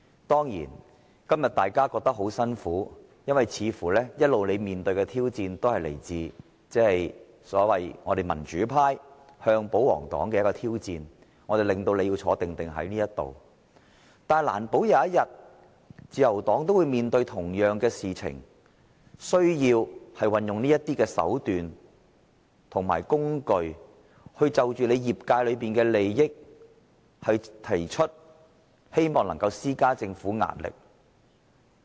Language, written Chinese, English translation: Cantonese, 當然，今天大家感到很辛苦，因為你們一直面對的挑戰，似乎均是我們民主派向保皇黨的挑戰，是我們令你們要在會議廳內"坐定定"；但難保有一天，可能自由黨也要面對同樣的情況，需要運用這種手段和工具，就着其業界的利益提出意見，希望能夠向政府施加壓力。, Of course Members are stressed out by attendance at meetings because of the challenges that they have been facing which seem to be entirely challenges from us in the pro - democracy camp to the pro - Government camp and they think that it is all because of us that they have to remain seated all the time in this Chamber . However we never know if the Liberal Party may face the same situation one day where they need this means or tool to put forward views in the interest of their sectors hoping to exert pressure on the Government